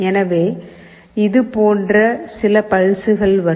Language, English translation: Tamil, So, there will be some pulses coming like this